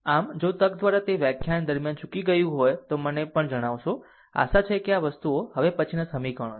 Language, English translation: Gujarati, So, if by chance it is miss during this lecture, you will also let me know that I have missed that hopefully hopefully things are ok next equations, right